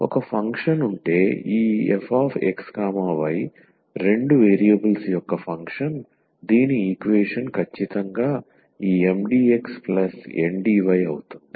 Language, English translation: Telugu, So, if there exists a function this f x y the function of two variable whose differential is exactly this Mdx plus Ndy